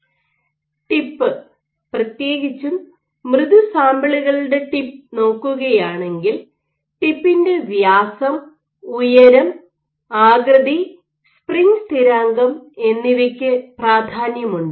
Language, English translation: Malayalam, Particularly if you look at the tip, if you are proving soft samples; for soft samples the tip radius, the tip height, the tip shape and the spring constant are of notable importance